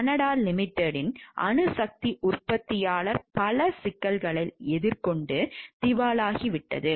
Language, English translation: Tamil, The manufacturer atomic energy of Canada limited had many problems and has since gone bankrupt